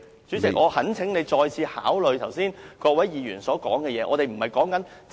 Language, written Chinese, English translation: Cantonese, 主席，我懇請你再次考慮剛才各位議員表達的意見。, President I sincerely urge you to reconsider the views expressed by Members just now